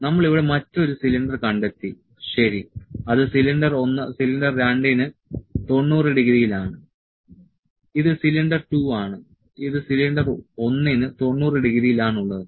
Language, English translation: Malayalam, So, we have located another cylinder here, ok which is at 90 degree to the cylinder 1, cylinder 2, this is cylinder 2, this is 90 degree to cylinder 1